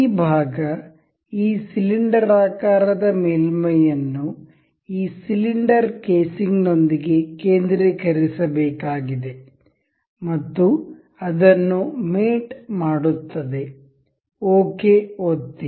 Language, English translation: Kannada, This part, this cylindrical surface needs to be concentrated with this casing cylinder and will mate it up, click ok, nice